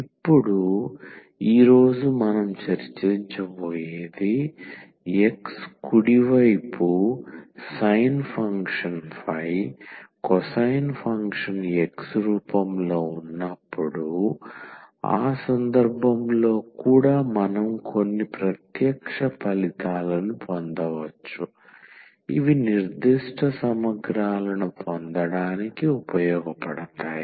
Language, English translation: Telugu, Now, we will discuss today we will continue our discussion that when x the right hand side is of the form the cosine function on the sin function in that case also can we derive some direct results which can be used to get the particular integrals